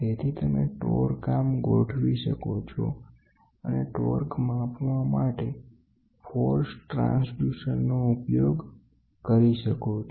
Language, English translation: Gujarati, So, you can you set torque arm and the force transducer to measure the torque, what is involved